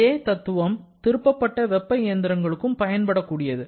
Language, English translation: Tamil, The same principle is also applicable to reversed heat engines